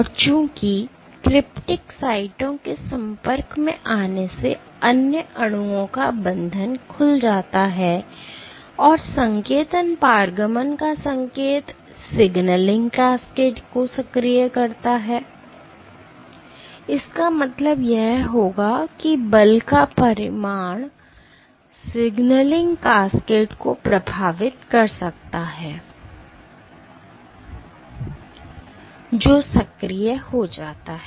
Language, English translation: Hindi, And since exposure of cryptic sites opens up this binding of other molecules and activation of signaling transduction signal a signaling cascades, this would mean that the magnitude of force can influence the signaling cascade which gets activated ok